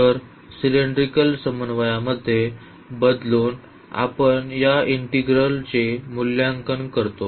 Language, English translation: Marathi, So, changing into cylindrical co ordinates we evaluate this integral